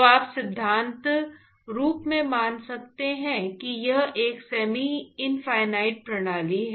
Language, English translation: Hindi, So, you could in principle assume that it is a semi infinite systems